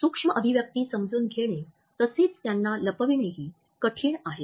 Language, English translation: Marathi, Even though it is difficult to understand micro expressions as well as to conceal them